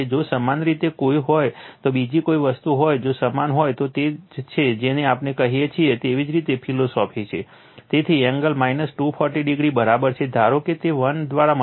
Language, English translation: Gujarati, If you have any if you have any other thing if you have that is that is your what we call that is your philosophy right, so V p angle minus 240 degree, suppose it is multiplied by 1